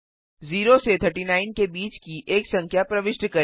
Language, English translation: Hindi, Press Enter Enter a number between of 0 to 39